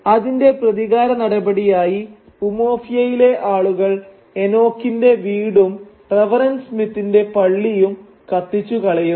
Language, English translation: Malayalam, And in an act of revenge the people of Umuofia then burns down the house of Enoch as well as the church of Reverend Smith